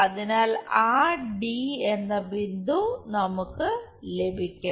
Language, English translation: Malayalam, So, that point D we will have